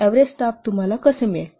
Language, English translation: Marathi, Average staff how will get